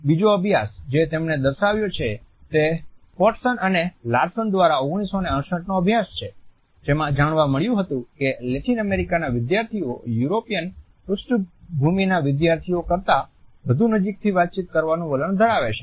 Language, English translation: Gujarati, Another study which he has quoted is the 1968 study by Fortson and Larson in which it was found that the Latin Americans tend to interact more closely than students from European background